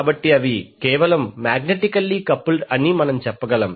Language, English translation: Telugu, So we can say that they are simply magnetically coupled